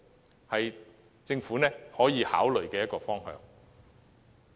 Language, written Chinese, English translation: Cantonese, 這是政府可以考慮的一個方向。, This is another direction that the Government can consider